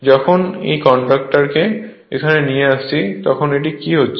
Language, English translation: Bengali, Whenever bringing this conductor here, then what is happening